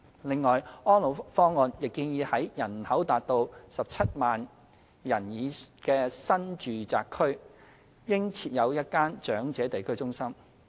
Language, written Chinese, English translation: Cantonese, 另外，《安老方案》亦建議在人口達 170,000 人的新住宅區應設有一間長者地區中心。, In addition ESPP recommended that there should be one DECC in each new residential area with a population reaching 170 000